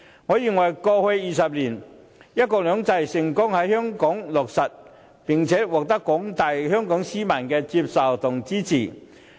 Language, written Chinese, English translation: Cantonese, 我認為過去20年，"一國兩制"成功在香港落實，並且獲得廣大香港市民接受和支持。, In my view one country two systems has been implemented successfully in the past two decades and has been widely accepted and supported by the general public